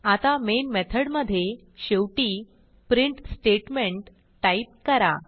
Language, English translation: Marathi, Now inside the Main method at the end type the print statement